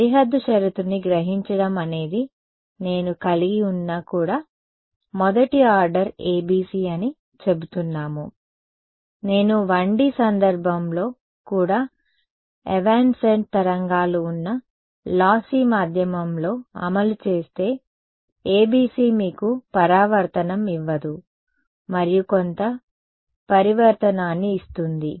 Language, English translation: Telugu, We were saying that absorbing boundary condition the first order ABC even if I have, if I implement it in a lossy medium where there are evanescent waves even in a 1D case the ABC does not gives you a reflection and gives some reflection